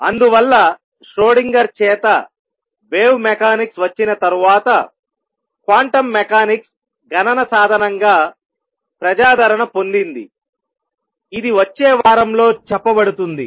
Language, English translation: Telugu, And therefore quantum mechanics really gained popularity as a calculation tool after wave mechanics by Schrödinger came along which will be covering in the next week